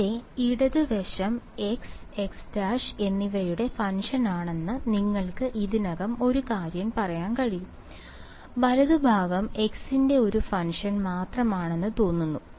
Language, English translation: Malayalam, Already you can tell one thing that the left hand side over here is a function of x and x prime, right hand side seems to only be a function of x